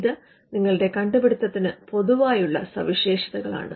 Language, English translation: Malayalam, The general features that are common to your invention